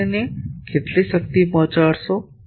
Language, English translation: Gujarati, How much power you will deliver to it